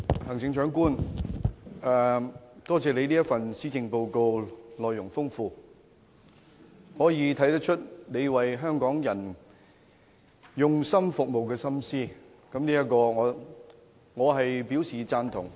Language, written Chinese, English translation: Cantonese, 行政長官，多謝你這份內容豐富的施政報告，從中可以看出你用心為香港人服務的心思，我對此表示贊同。, Chief Executive I thank you for this content - rich Policy Address . It shows your dedication in serving the people of Hong Kong and it has my support